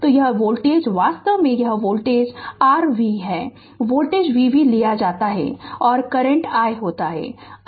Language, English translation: Hindi, So, this voltage actually this voltage your V right this voltage is taken V V and current is i